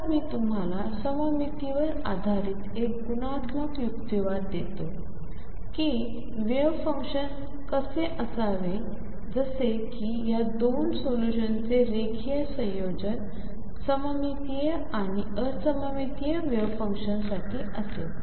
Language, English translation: Marathi, So, I give you a qualitative argument based on symmetry how the wave function should look like as to what it linear combinations of these 2 solutions would be for the symmetric and anti symmetric wave function